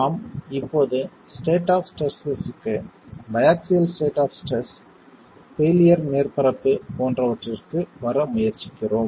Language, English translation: Tamil, We are now trying to arrive at the state of stresses, the biaxial state of stresses, a failure surface